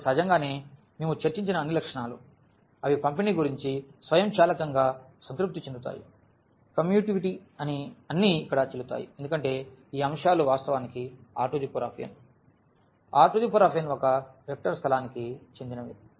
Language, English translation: Telugu, So, naturally all the properties which we discussed, they are satisfied automatically about this distributivity, commutativity all are valid here because these elements actually belong to R n; R n is a vector space